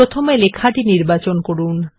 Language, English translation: Bengali, First select the text